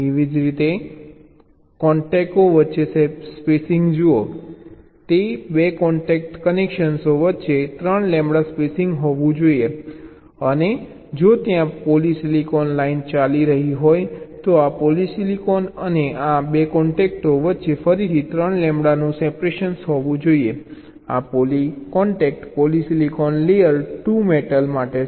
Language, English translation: Gujarati, see, there should be three lambda spacing between two contact connections and if there is a polysilicon line running, there should be again be a three lambda separation between this polysilicon and this contacts